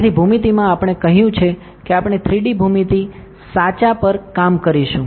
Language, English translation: Gujarati, So, in the geometry we have told that we are going to work on a 3D geometry correct